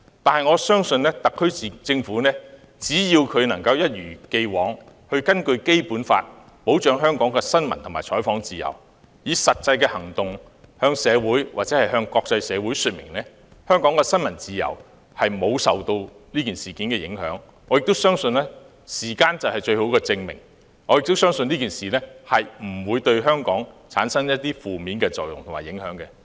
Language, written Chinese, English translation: Cantonese, 但是，我相信特區政府只要能夠一如既往，根據《基本法》保障香港的新聞和採訪自由，以實際行動向本港社會或國際社會說明，香港的新聞自由沒有受這事件影響。我相信時間將會證明，這次事件不會對香港產生負面作用。, Nevertheless as long as the SAR Government can maintain its long standing practice of safeguarding freedom of the press and the medias right of reporting under the Basic Law and use practical action to convince the local and international community that freedom of the press in Hong Kong has not been affected by the incident I trust time will prove that this incident does not have a negative impact on Hong Kong